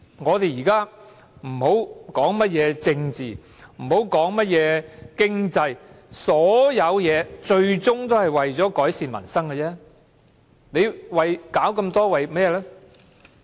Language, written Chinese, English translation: Cantonese, 我們現在不要談甚麼政治和經濟，所有事情最終也是為了改善民生而已。, Now we should not talk about politics and economy as it is all about improvement of peoples livelihood ultimately